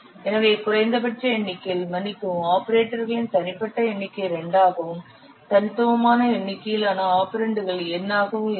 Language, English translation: Tamil, So, the minimum number of, sorry, the unique number of operators will be 2 and the unique number of operands will be n